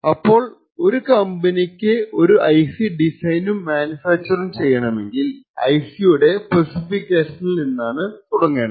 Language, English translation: Malayalam, So, typically if a company wants to actually design and manufacture a new IC it would start off with the specifications for that IC